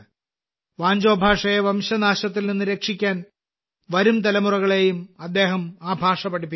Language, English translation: Malayalam, He is also teaching Wancho language to the coming generations so that it can be saved from extinction